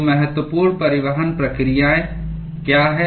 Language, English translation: Hindi, So, what are the important transport processes